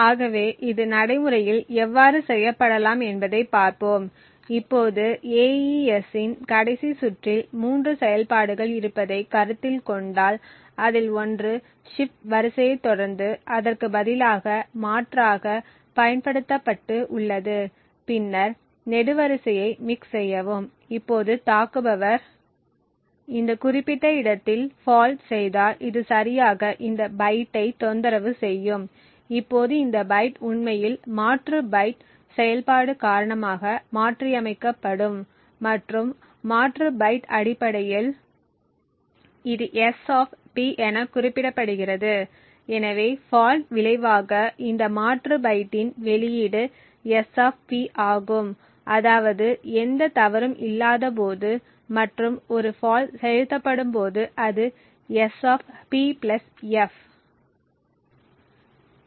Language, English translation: Tamil, So let us see how this can be done in practice, now if we consider the last round of AES there are 3 operations one is substituted by followed by the shift row and then mix column, now if the attacker injects a fault at this particular location it would disturb exactly this byte, now this byte would actually be modified due to the substitute byte operation and substitute byte is essentially represented as S[P] , so as a result of the fault the output of this substitute byte is S[P] when there is no fault and S[P + f] when a fault is injected